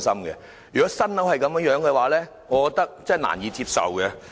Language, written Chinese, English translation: Cantonese, 然而，對於新建樓宇如此的質素，我難以接受。, Yet I find it hard to accept the poor quality of this newly - built housing estate